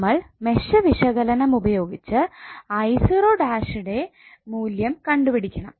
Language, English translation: Malayalam, We have to apply mesh analysis to obtain the value of i0 dash